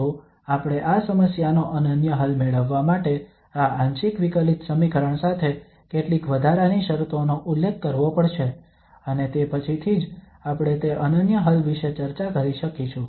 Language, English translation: Gujarati, So we have to specify some extra conditions with this partial differential equation to have a unique solution of this problem and then only we can discuss about that unique solution later on